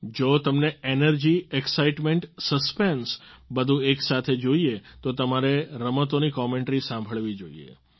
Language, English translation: Gujarati, If you want energy, excitement, suspense all at once, then you should listen to the sports commentaries